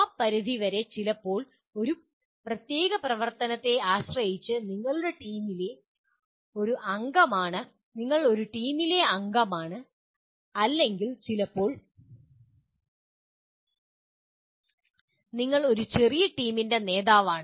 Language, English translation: Malayalam, To that extent sometimes depending on a particular activity you are a member of a team or sometimes you are a leader of a small team